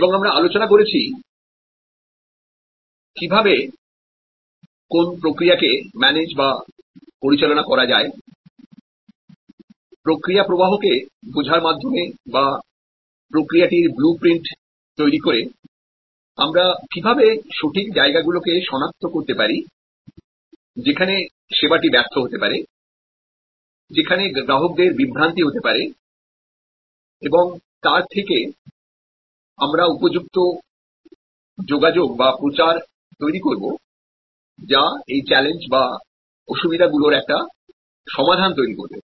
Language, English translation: Bengali, And we also discussed, how by managing the process, the service process by understanding the process flow, by mapping the process, by creating the blue print, how we can identify points, where the touch points where the service may fail or the customer may have confusion and therefore, we can create their suitable communication, that will resolve the challenge